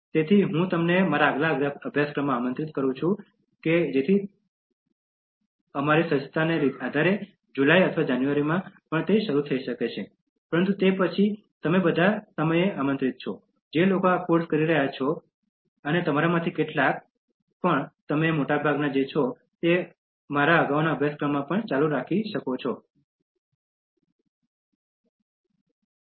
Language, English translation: Gujarati, So, I invite you to my next course so it may start in July or in January depending on our preparedness, but then you are all the time invited, all those who have been doing this course and some of you, the majority of you are continuing from my previous course